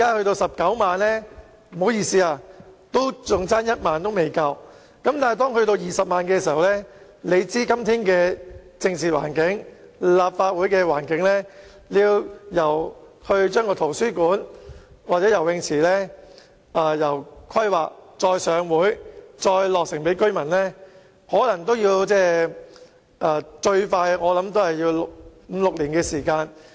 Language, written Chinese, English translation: Cantonese, 但是，當該區有20萬人時，大家知道今天的政治環境和立法會的境況，由規劃圖書館和游泳池，到提交立法會審議，繼而在當區落成供居民使用，我估計最快也要五六年的時間。, However when the population reaches 200 000 given the political environment and the situation in the Legislative Council today I believe the projects will need at least five or six years to finish counting the time span from the planning of the libraries and the pools submitting of the items to Legislative Council for consideration to the commissioning of the facilities for residents use